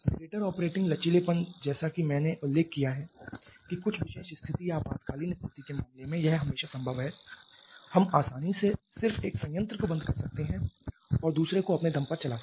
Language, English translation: Hindi, Greater operating flexibility as I mentioned it is always possible under in case some special condition or emergency situation we can easily just switch off one plant and run the other on its own